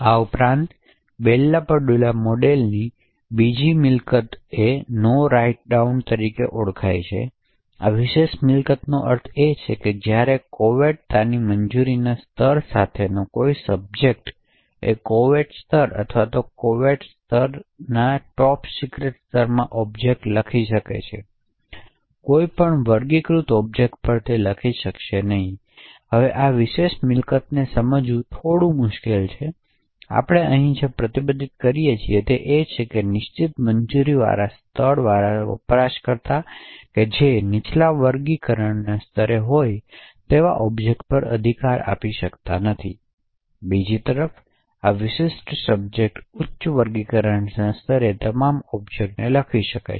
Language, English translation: Gujarati, Additionally the Bell LaPadula model also has is second property known as No Write Down, so what this particular property means is that while a subject with a clearance level of confidential can write objects in confidential level or secret level or top secret level, it will not be able to write to any unclassified objects, now this particular property is a bit difficult to understand, essentially what we are restricting here is that a user with a certain clearance level cannot right to objects which are at a lower classification level, on the other hand this particular subject can write to all objects at a higher classification level